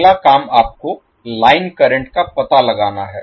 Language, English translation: Hindi, Next task is you need to find out the line current